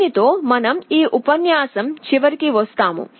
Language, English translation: Telugu, With this we come to the end of this lecture